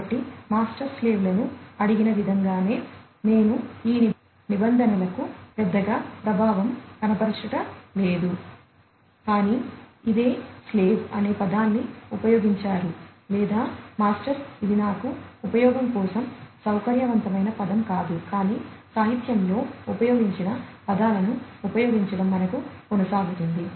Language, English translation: Telugu, So, in the same way as the master asks the slaves to, you know, I am not quite impressed with these terms, but this is what is used you know the term slave or, the master this is not a very you know comfortable term for use for me, but let us continue, to use the terms that are used in the literature